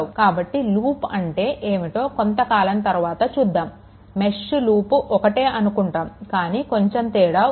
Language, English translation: Telugu, So, later I will tell you the what is the loop sometime loosely we talk mesh are loop, but slight difference is there right